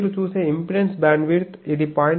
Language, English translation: Telugu, This is the impedance bandwidth you see from 0